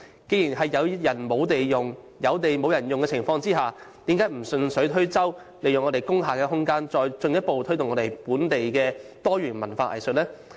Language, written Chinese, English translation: Cantonese, 在有人沒有地用，有地沒有人用的情況下，政府何不順水推舟，利用工廈的空間，再進一步推動本地多元文化藝術呢？, In view of the fact that some people have no venues to use while some premises are vacant why does the Government not grasp this opportunity by making use of the room of industrial buildings to give further impetus to the local diversified cultural and arts industry?